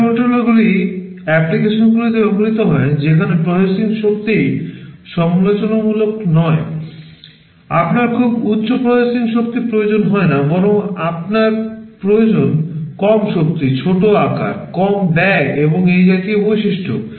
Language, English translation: Bengali, Microcontrollers are used in applications where processing power is not critical, you do not need very high processing power rather you need low power, small size, low cost, these kinds of attributes